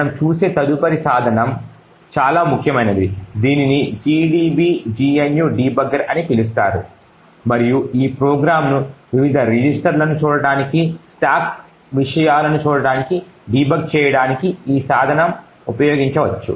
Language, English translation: Telugu, The next tool that we will actually look at is the most important so that is known as the gdb gnu debugger and this tool can be used to actually debug this program look at the various registers, look at the stack contents and so on